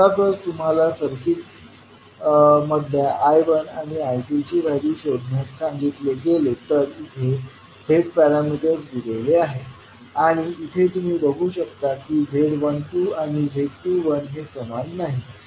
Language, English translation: Marathi, Suppose, if we are asked to find out the value of I1 and I2, the circuit, the Z parameters are given Z11, Z12, Z21, Z22, if you see in this case Z12 is not equal to Z21, so that means the circuit is not reciprocal